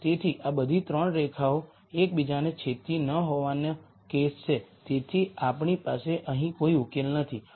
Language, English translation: Gujarati, So, this is the case of not all 3 lines intersect so we do not have a solution here